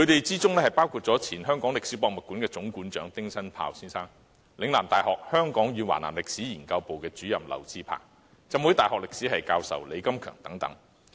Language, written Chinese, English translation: Cantonese, 這群人包括香港歷史博物館前總館長丁新豹、嶺南大學香港與華南歷史研究部主任劉智鵬、香港浸會大學歷史系教授李金強等。, These people included Dr Joseph TING former Chief Curator of the Hong Kong Museum of History; Prof LAU Chi - pang Co - ordinator Hong Kong and South China Historical Research Programme and Prof LEE Kam - keung Adjunct Professor Department of History Hong Kong Baptist University